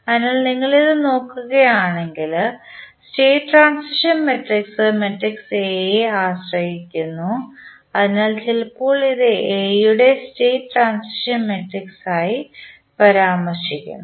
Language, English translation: Malayalam, So, if you see this the state transition matrix is depending upon the matrix A that is why sometimes it is referred to as the state transition matrix of A